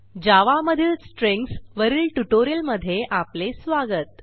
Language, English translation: Marathi, Welcome to the spoken tutorial on Strings in Java